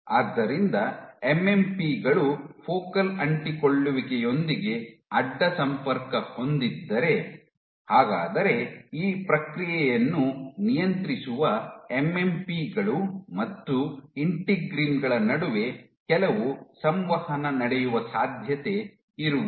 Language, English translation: Kannada, So, given that MMPs have a cross talk with focal adhesion is it possible that there is some interaction between MMPs and integrins which is regulating this process